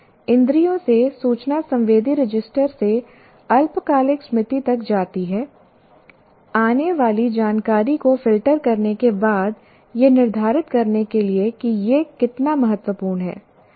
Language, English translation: Hindi, So, information from the census passes through the sensory register to short term memory after the incoming information is filtered to determine how important it is